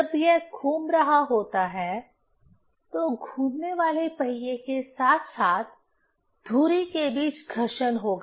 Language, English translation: Hindi, When it is moving, there will be friction between the rotating wheel as well as the axle